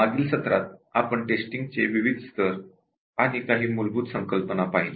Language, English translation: Marathi, Last time we were looking at different levels of testing and few basic concepts